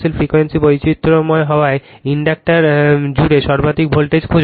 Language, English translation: Bengali, Find the maximum voltage across the inductor as the frequency is varied